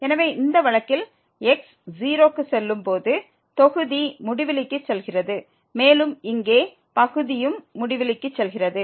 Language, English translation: Tamil, So, in this case when goes to 0 the numerator goes to infinity and also here the denominator goes to infinity